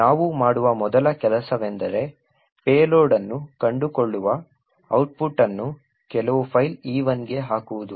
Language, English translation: Kannada, The first thing we do is to put the output from find payload into some file E1